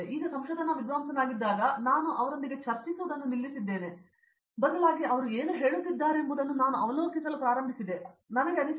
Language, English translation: Kannada, Now after being a research scholar I stopped arguing with them I started observing them what they are saying, I did feel like that